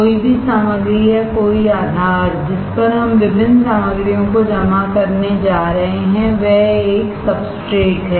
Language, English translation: Hindi, Any material or any base on which we are going to deposit different materials is a substrate